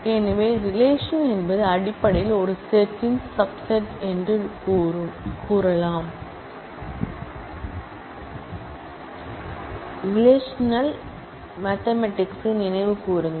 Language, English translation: Tamil, So, recall the mathematical notion of relation which says that a relation is basically a subset of a set